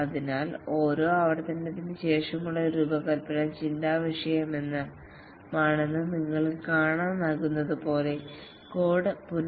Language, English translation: Malayalam, So here as you can see that the design after each iteration is after thought, the code is restructured